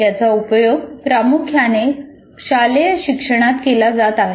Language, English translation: Marathi, It is mainly used in school education